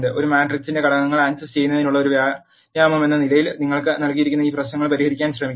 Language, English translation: Malayalam, As an exercise to access elements of a matrix you can try solving this problems that are given